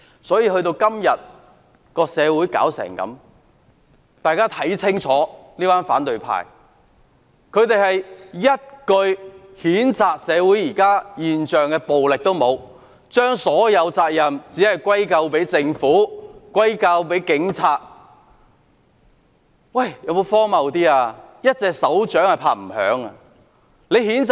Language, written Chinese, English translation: Cantonese, 時至今天，社會發展至如斯地步，大家可以清楚看到，這群反對派對於現時的社會暴力現象連一句譴責也沒有，並將所有責任歸咎於政府及警方，真的是十分荒謬。, Today the society has developed to a point that the opposition party has evidently not said a word to condemn the prevalence of social violence but put all the blame on the Government and the Police which is really absurd . It must be noted that it takes two to tango